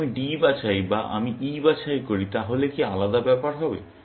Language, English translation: Bengali, Will it matter if I pick D or if I pick E